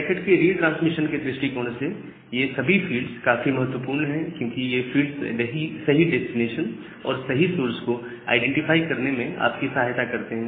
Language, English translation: Hindi, So, these fields are very important from the perspective of transmission of a packet because these fields actually help you to identify the correct source at the correct destination